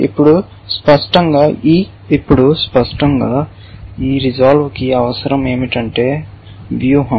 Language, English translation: Telugu, Now obviously, what this resolve needs is strategy